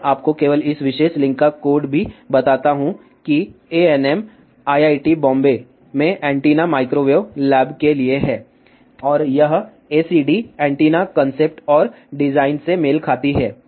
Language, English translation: Hindi, I just to tell you the code of this particular link also anm stands for antenna microwave lab at IIT Bombay, and this acd corresponds to antennas concept and design